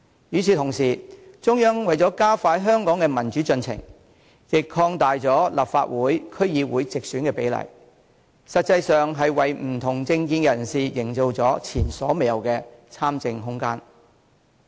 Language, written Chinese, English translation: Cantonese, 與此同時，中央為加快香港的民主進程，亦擴大了立法會、區議會的直選比例，實際上是為不同政見的人士營造了前所未有的參政空間。, At the same time in order to accelerate the progress of democratization in Hong Kong the Central Authorities have increased the proportions of directly elected seats in the Legislative Council and District Councils . This has created the greatest room ever for the political participation of people with dissenting political opinions